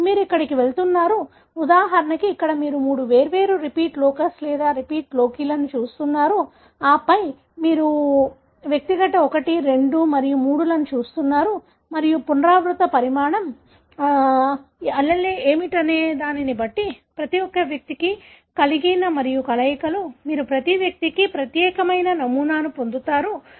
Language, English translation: Telugu, So, you are going to, for example here you are looking at three different such repeat locus or repeat loci rather and then, you are looking at individual 1, 2 and 3 and depending on what is the repeat size, the alleles that are, each one individual is having and the combinations, you will be getting a pattern which is unique to each individual